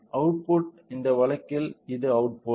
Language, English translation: Tamil, So, output in this case is this